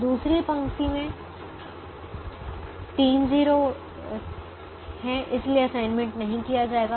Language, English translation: Hindi, the second row has three zeros, so don't make an assignment